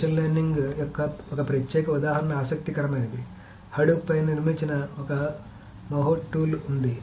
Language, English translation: Telugu, So one particular example of machine learning which is interesting is that there is a Mahuth tool which is built on top of Hadoop